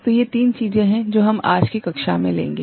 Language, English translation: Hindi, So, these are the three things that we shall take up in today’s class